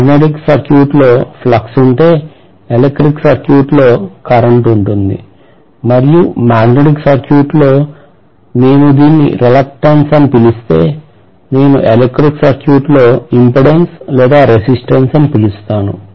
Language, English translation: Telugu, In the magnetic circuit, if I have flux, I am going to have in the electric circuit current and in the magnetic circuit if I call this as reluctance, I am going to call in the other case as impedance or resistance